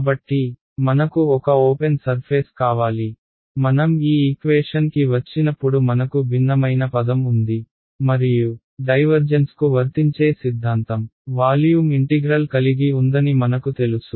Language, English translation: Telugu, So, I needed a open surface, when I look come to this equation I have a divergence term and I know that the theorem that applies to divergence has a volume integral